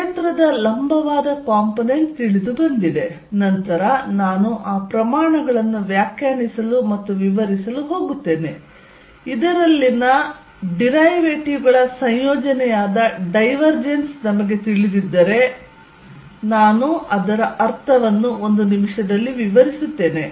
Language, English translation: Kannada, So, perpendicular component all the field is known, then I am going to define and explain those quantities later, if we know the divergence I will explain its meaning in a minute which is the combination of derivatives in this from